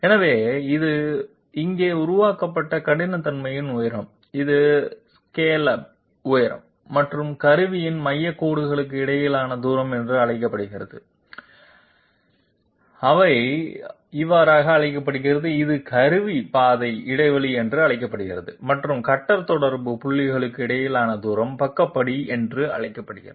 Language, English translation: Tamil, So this the height of the roughness which is created here it is called scallop height and the distance between the centre lines of the tool, they are called this is called tool path interval and the distance between the cutter contact points is called the side step